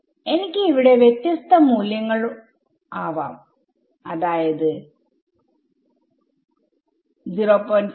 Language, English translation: Malayalam, So, I can have different values over here let us say 0